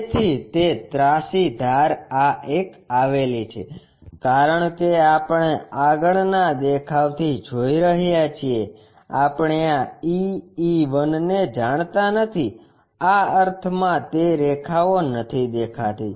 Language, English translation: Gujarati, So, that slant edge is this one, because we are looking from front view, we do not know this E E 1 do not know in the sense these are not visible lines